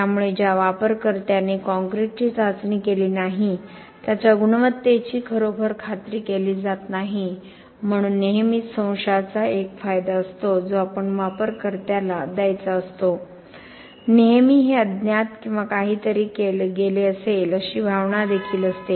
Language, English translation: Marathi, So, the user who has not tested the concrete is not really ensured of the quality, so there is always a benefit of doubt that we have to give to the user, there is also the always this unknown or the feeling that something could have gone gotten wrong